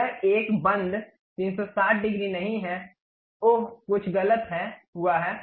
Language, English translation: Hindi, It is not a closed one, 360 degrees, oh something has happened wrong